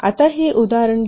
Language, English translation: Marathi, Now let's take this example